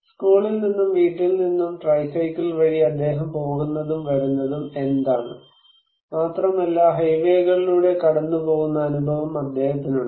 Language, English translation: Malayalam, So, what is that he is going and coming from school and home by tricycle, not only that he has the experience that he used to go through highways